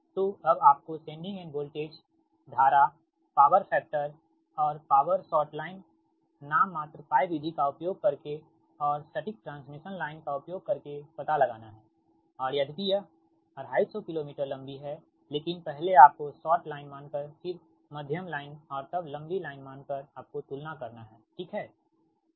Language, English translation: Hindi, you have to find out the sending end, find the sending end voltage, current power factor and power using short line, nominal pi method and exact transmission line and then compare, although line is two fifty kilo meter long, but you consider short line assumption, then medium and then long line, right, so will use the same data